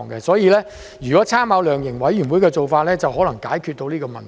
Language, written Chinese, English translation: Cantonese, 所以，如果參考量刑委員會的做法，或許可以解決到這個問題。, Therefore if we make reference to the setting up of a sentencing commission or council perhaps the problem can be resolved